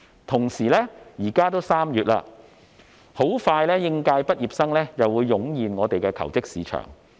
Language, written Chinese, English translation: Cantonese, 同時，現在已經是3月，應屆畢業生很快又會湧現求職市場。, At the same time as it is now already March fresh graduates will soon be flooding the job market